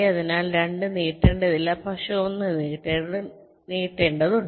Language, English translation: Malayalam, so two, we need not extend, but one we have to extend